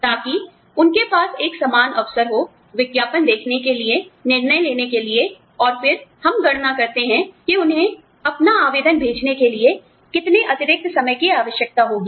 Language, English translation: Hindi, So, that they have an equal opportunity, to see the advertisement, decide, and then, we calculate, how much extra time, will they need, to send their application in